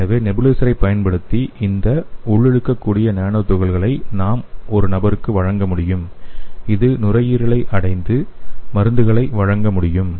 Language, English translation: Tamil, So let us see how we can deliver the drug to the respiratory system so using the nebulizer we can deliver this inhalable nano particles to the person and this can reach the lungs and it can deliver the drugs